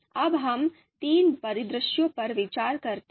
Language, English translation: Hindi, So now let us consider the three scenarios